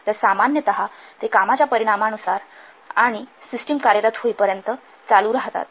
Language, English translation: Marathi, So, normally they are proportional to the volume of the work and they continue as long as the system is in operation